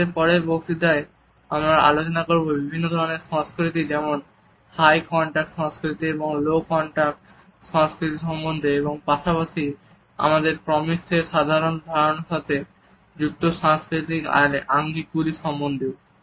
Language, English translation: Bengali, In our next discussion we would take up the different types of cultures for example, high contact and low contact cultures as well as the cultural aspects related with our understanding of proxemics